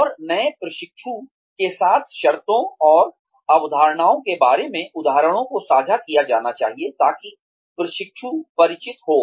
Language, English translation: Hindi, And, examples should be shared with the new trainee, regarding the terms and concepts, that the trainee is familiar with